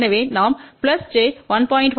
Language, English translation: Tamil, So, minus j 1